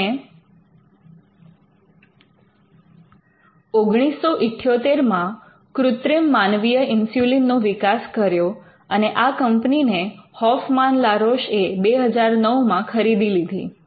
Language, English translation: Gujarati, They developed the synthetic human insulin in 1978 and the company itself was acquired by Hoffmann La Roche in 2009